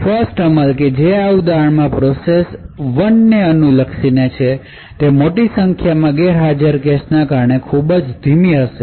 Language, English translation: Gujarati, The 1st execution which in this example corresponds to the process one would thus be very slow due to the large number of cache misses that occurs